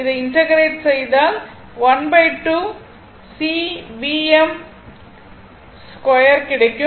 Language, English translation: Tamil, If you integrate this, it will become half C V m square